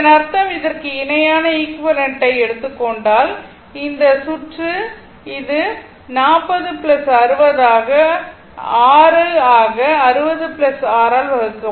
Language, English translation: Tamil, So, that mean, if you take the parallel of ah equivalent of this, this circuit will be your this is 40 plus 60 into 6 divided by 60 plus 6, right